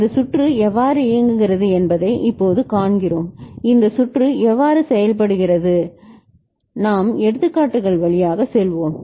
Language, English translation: Tamil, Now we see how this circuit works how this circuit works we shall go through examples